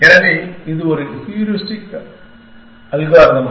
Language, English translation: Tamil, So, this is one simple heuristic algorithm